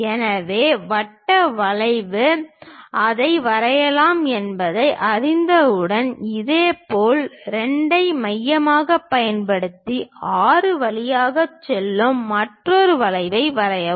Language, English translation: Tamil, So, once we know that circle arc draw that one; similarly, using 2 as center draw another arc passing through 6